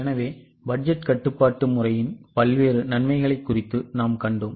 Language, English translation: Tamil, So, we have seen various advantages of budgetary control system